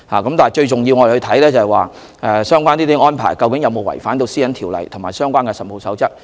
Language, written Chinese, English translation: Cantonese, 然而，最重要的是，相關的安排究竟有否違反《條例》及《實務守則》。, Nevertheless of most importance is whether those arrangements have contravened PDPO and the Code of Practice